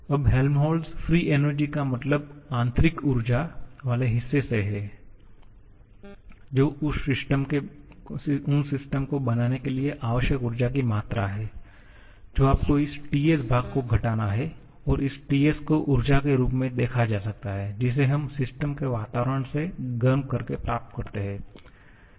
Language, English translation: Hindi, Now, Helmholtz free energy means from the internal energy part that is the amount of energy needed to create the system you have to subtract this TS portion and this TS can be viewed as the energy that we get from the system's environment by heating